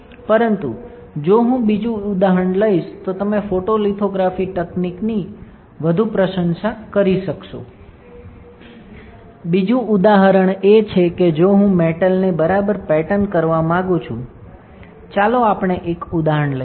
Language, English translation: Gujarati, But if I take another example you will understand appreciate the photolithography technique much more, the another example is that if I want to pattern a metal all right, let us take an example